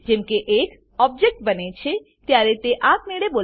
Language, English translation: Gujarati, It is automatically called when an object is created